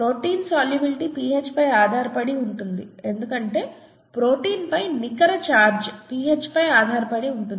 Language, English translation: Telugu, The protein solubility is pH dependent because the net charge on the protein is pH dependent, right